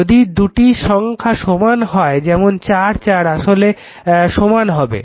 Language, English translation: Bengali, If you take both are same 4 4 then both will be same right